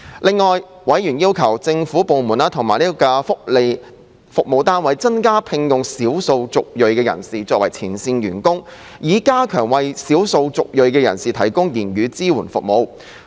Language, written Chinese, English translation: Cantonese, 另外，委員要求政府部門及福利服務單位增加聘用少數族裔人士作為前線員工，以加強為少數族裔人士提供言語支援服務。, Moreover members urged government departments and welfare service units to employ more ethnic minorities as frontline staff to strengthen language support services for ethnic minorities